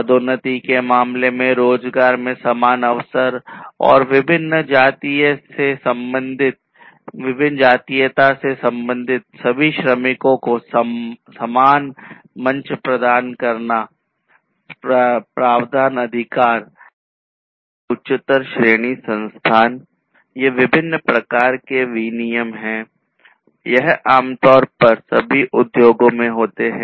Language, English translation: Hindi, Equal opportunity in employment in terms of promotion and consideration of all workers from different ethnicity in the equal platform, provisioning of authority or higher ranking position; so, these are different types of classes of regulations that are typically there in any industry